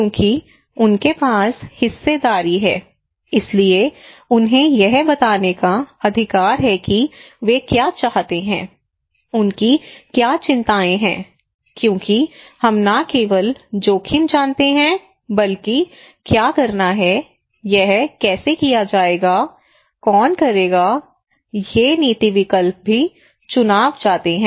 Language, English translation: Hindi, Because they have the stake so they have the right to tell us that what they want what is the concerns they have because we know not only the risk but what is to be done when do we done, how it will be done, who will do it, these policy options are also contested